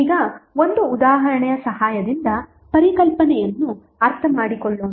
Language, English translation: Kannada, Now, let us understand the concept with the help of one example